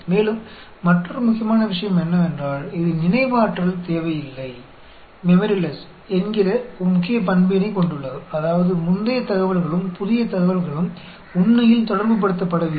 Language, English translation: Tamil, And, another important thing is, it has a key property of memoryless; that means, the previous information and the new information are not correlated at all, actually